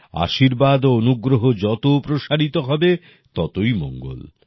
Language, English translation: Bengali, The more the boon and the blessings spread, the better it is